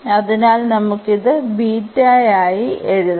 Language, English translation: Malayalam, So, we can write down this as the beta